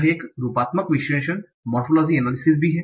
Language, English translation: Hindi, There is a morphological analysis also